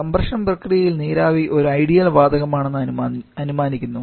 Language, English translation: Malayalam, The condition is the compression process requiring the vapour to be an ideal gas